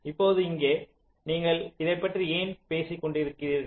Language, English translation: Tamil, now, now here why you were talking about this